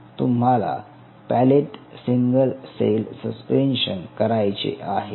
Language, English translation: Marathi, it made a single cell suspension